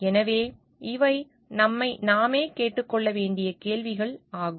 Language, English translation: Tamil, So, these are the questions that we need to ask ourselves